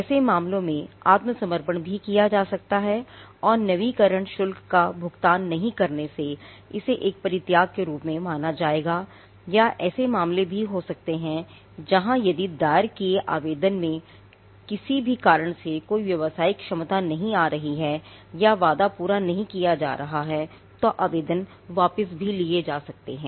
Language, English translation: Hindi, So, in such cases it can also be surrendered and by not paying the renewal fee it will be treated as an abandonment or there could also be cases where an application which was filed for whatever reason there is no commercial potential coming up or the promise that it held is no longer there, applications can also be withdrawn